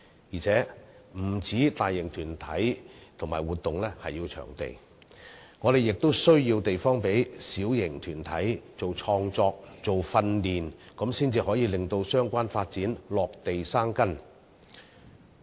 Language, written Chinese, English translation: Cantonese, 而且，不單大型團體和活動需要場地，小型團體創作、訓練亦需要地方，才可以讓相關發展落地生根。, Besides not only big organizations and large scale activities need venues but small groups also need venues for creative work and training so that the development can take root in our society